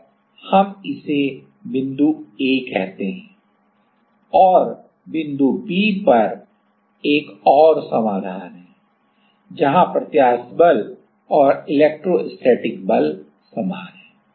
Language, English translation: Hindi, And, let us call it point a and there is another solution at B point right, where the elastic force and electrostatic force are same